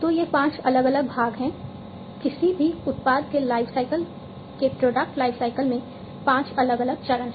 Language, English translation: Hindi, So, these are the five different parts, five different phases in the product lifecycle of any product lifecycle